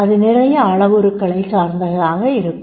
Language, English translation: Tamil, It will depend on so many parameters